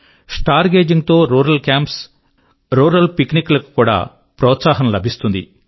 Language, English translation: Telugu, Star gazing can also encourage rural camps and rural picnics